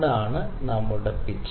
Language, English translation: Malayalam, Ok, that is our pitch